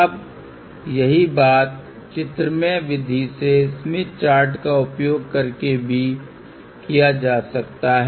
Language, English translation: Hindi, Now, the same thing can also be done using the graphical method by using Smith Chart